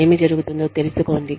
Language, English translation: Telugu, Find out, what is going on